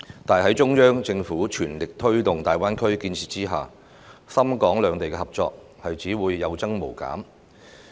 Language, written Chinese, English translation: Cantonese, 但是，在中央政府全力推動大灣區建設下，港深兩地的合作只會有增無減。, However with vigorous promotion of the development of the Greater Bay Area GBA by the Central Government cooperation between Hong Kong and Shenzhen will only increase